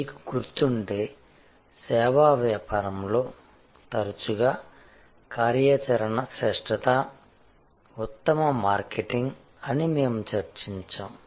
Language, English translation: Telugu, So, that is why, if you remember we had discussed that in service business often operational excellence is the best marketing